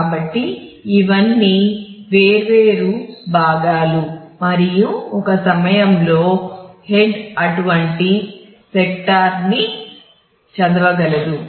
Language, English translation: Telugu, So, these are these are all separate portions and you can at a time the head can read one such sector